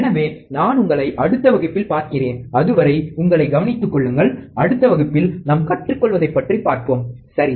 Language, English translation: Tamil, So, I will see you in the next class, and till then, take care, and let us see what we learn in the next class, alright